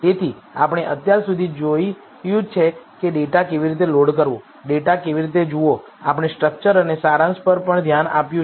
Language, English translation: Gujarati, So, till now we have seen how to load the data, how to view the data, We have also looked at the structure and the summary